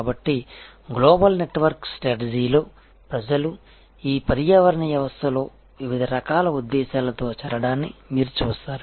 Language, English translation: Telugu, So, in the global network strategy as you will see that people join these ecosystems with different types of motives